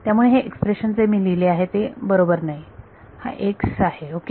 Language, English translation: Marathi, So, then this expression that I have written is incorrect right this is x ok